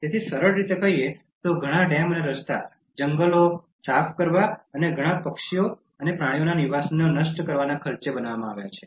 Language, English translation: Gujarati, So, the simple thing like many dams and roads are constructed at the cost of clearing forests and destroying the habitat of many birds and animals